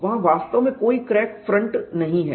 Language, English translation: Hindi, There is no crack front as such